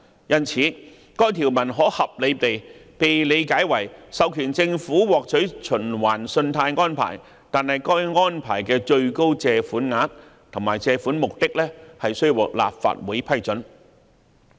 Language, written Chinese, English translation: Cantonese, 因此，該條可合理地被理解為授權政府獲取循環信貸安排，但該安排的最高借款額及借款目的須獲立法會批准。, Hence the section can reasonably be construed as authorizing the Government to obtain a revolving credit facility provided that the maximum amount and purposes of the credit facility are approved by the Legislative Council